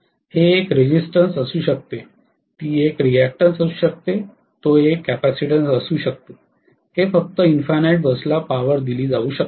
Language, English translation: Marathi, It can be a resistance, it can be a reactance, it can be a capacitance, it can be a simply feeding the power to the infinite bus